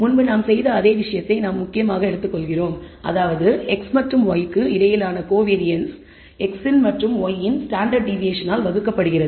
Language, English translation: Tamil, Where we are essentially taking same thing that we did before the covariance between x and y divided by the standard deviation of x and the standard deviation of y